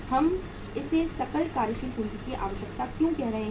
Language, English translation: Hindi, Why we are calling it as the gross working capital requirement